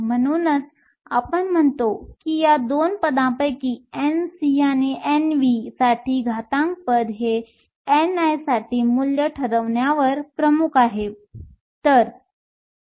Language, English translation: Marathi, This is why we say that out of these 2 terms N c and N v and the exponential term the exponential term is the one that dominates in determining the value for n i